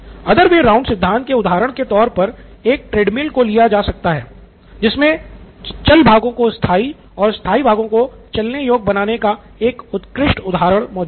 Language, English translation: Hindi, So this is an other way round A treadmill is an excellent example of making movable parts fixed and fixed part movable